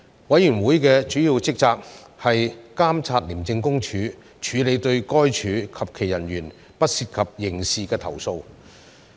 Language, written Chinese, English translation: Cantonese, 委員會的主要職責是監察廉政公署處理對該署及其人員不涉及刑事的投訴。, The Committees major responsibility is to monitor the handling by the Independent Commission Against Corruption ICAC of non - criminal complaints lodged by anyone against ICAC and its officers